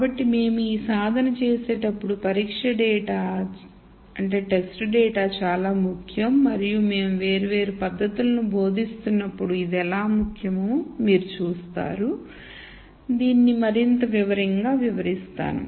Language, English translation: Telugu, So, the test data is very important when we do this exercise and as we teach di erent techniques you will you will see how this is important and will explain this in greater detail